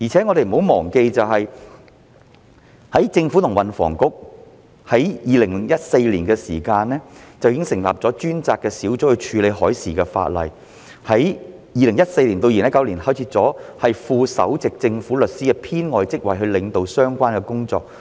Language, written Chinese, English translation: Cantonese, 我們亦不要忘記，運輸及房屋局在2014年已成立專責小組處理海事法例，在2014年至2019年間開設了副首席政府律師的編外職位以領導相關工作。, We should not forget either that the Transport and Housing Bureau THB set up a task force to deal with marine legislation back in 2014 and one supernumerary post of Deputy Principal Government Counsel was created to steer the work from 2014 to 2019